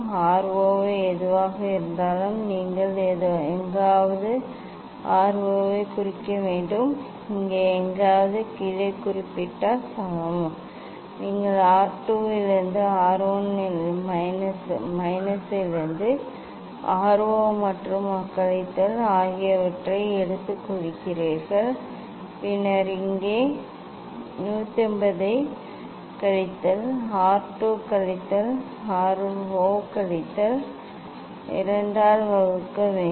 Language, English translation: Tamil, whatever the R 0 you should I think note down somewhere R 0 equal to note down somewhere here you take R 0 and minus from R 1 minus from R 2 and then here 180 minus that R 2 minus R 0 divide by 2 that will be the